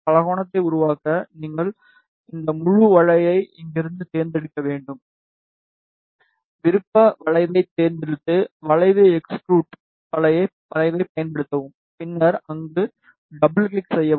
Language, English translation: Tamil, To make the polygon, you need to select this full curve from here, just select the option curve, and then use curve extrude curve ok, and then double click there ok